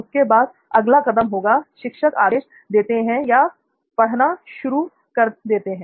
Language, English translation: Hindi, Then the next step would be the teacher starts instruction or teaching and